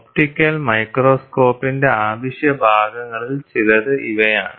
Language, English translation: Malayalam, These are some of the Essential parts of an optical microscope